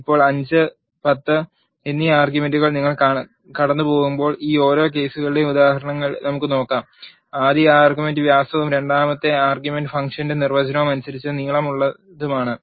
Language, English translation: Malayalam, Now, let us see the examples for each of these cases when you pass the arguments 5 and 10 the first argument is diameter and second argument is length according to the definition of the function